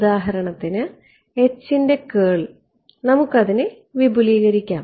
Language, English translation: Malayalam, So, for example, the curl of H right; so, let us expand it out